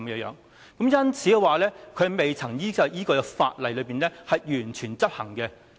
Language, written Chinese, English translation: Cantonese, 因此，它未能完全依據法律規定執行。, For that reason it cannot be fully implemented according to the law